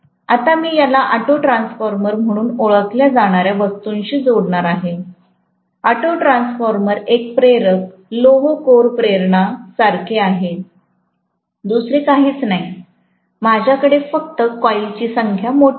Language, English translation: Marathi, Now, I am going to connect this to something called as an auto transformer, auto transformer is like an inductor, iron core inductor, nothing else, I just have a larger number of coils, okay